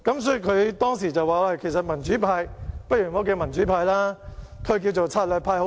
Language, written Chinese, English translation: Cantonese, 所以，他當時說："民主派不如不要叫'民主派'，叫'策略派'好了！, He thus said at that time The Democratic Party should not be called the Democratic Party but should be called the Stratagem Party instead